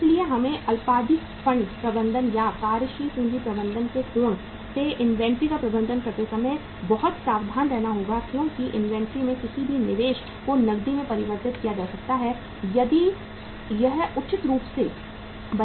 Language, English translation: Hindi, So we have to be very very careful while managing inventory from the angle of say short term funds management or the working capital management because any investment in the inventory can be converted into cash if it is appropriately made